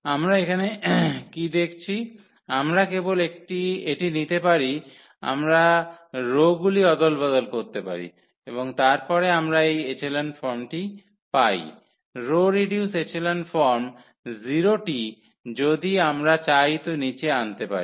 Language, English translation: Bengali, So, what do we see here, we can actually just take this we can interchange the row and then we have this echelon form; row reduced echelon form the 0 we can bring to the bottom if we like